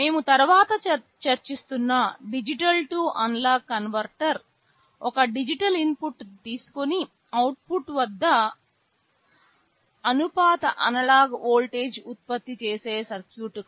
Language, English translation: Telugu, A digital to analog converter that we shall be discussing later is a circuit which takes a digital input and produces a proportional analog voltage at the output